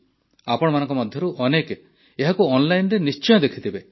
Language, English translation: Odia, Most of you must have certainly seen it online